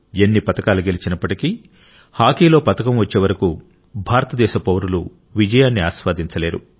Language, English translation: Telugu, And irrespective of the number of medals won, no citizen of India enjoys victory until a medal is won in hockey